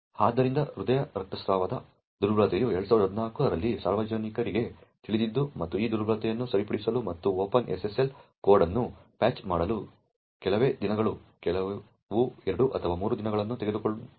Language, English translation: Kannada, So the heart bleed vulnerability was known to the public in 2014 and it took just a few days, some 2 or 3 days to actually fix this vulnerability and patch the open SSL code